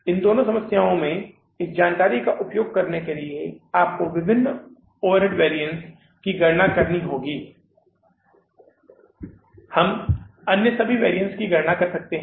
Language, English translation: Hindi, Using this information in both these problems, you have to calculate the different overhead variances